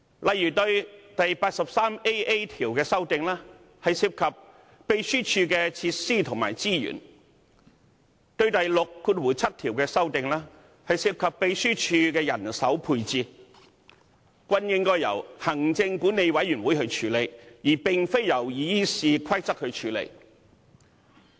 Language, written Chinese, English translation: Cantonese, 例如第 83AA 條的修訂涉及秘書處的設施及資源，第67條的修訂則涉及秘書處的人手配置，均應由行政管理委員會處理，而並非藉修訂《議事規則》處理。, For example the amendments proposed to RoP 83AA are related to the facilities and resources of the Secretariat while those proposed to RoP 67 are about the manpower deployment of the Secretariat and instead of amending the Rules of Procedure such issues should be referred to the Legislative Council Commission